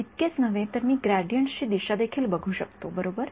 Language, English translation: Marathi, Not just that, I can also look at the direction of the gradients right